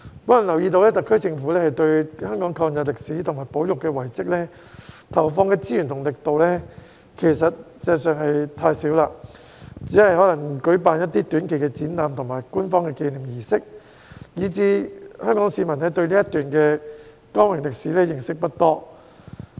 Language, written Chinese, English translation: Cantonese, 我留意到，特區政府對香港抗日歷史及保育遺蹟上投放的資源和力度，事實上是太少，可能只是舉辦一些短期展覽和官方紀念儀式，令香港市民對這段光榮歷史認識不多。, I have noticed that the SAR Government has in fact injected too little resources and efforts into the history of Hong Kongs War of Resistance and heritage conservation . It may have merely organized some short - term exhibitions and official commemorative ceremonies . Consequently Hong Kong people have little knowledge of this glorious episode in history